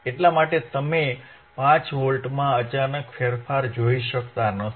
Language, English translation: Gujarati, That is why you cannot see suddenly there is a change in 5 Volts